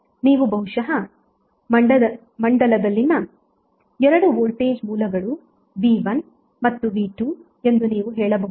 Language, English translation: Kannada, Now suppose if in the circuit you have 2 voltage sources that may be you can say V1 and V2